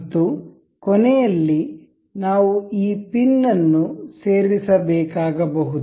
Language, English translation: Kannada, And in the end we, can we have to insert this pin